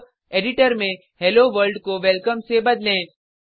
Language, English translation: Hindi, Now, In the editor, change Hello World to Welcome